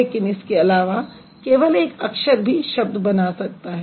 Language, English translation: Hindi, But besides that, only one later can also make a word